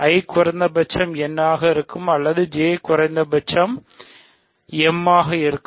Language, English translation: Tamil, So, either I will be at least n or J will be at least m